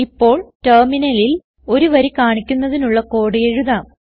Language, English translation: Malayalam, We will now write a code to display a line on the Terminal